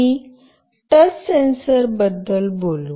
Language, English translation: Marathi, We will talk about the touch sensor